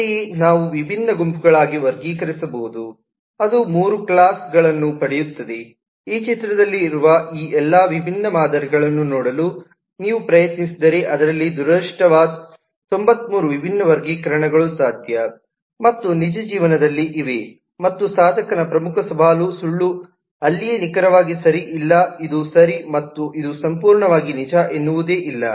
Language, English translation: Kannada, accordingly, we can classify into different groups that will get three classes for that and in this way, if you try to look at all this different patterns that exist in this image, then, as it turns out that there are 93 different classifications that are possible and in real life, unfortunately and that is where the major challenge of the practitioner lies is there is no exactly right answer where this is right and this is absolutely true there is nothing like that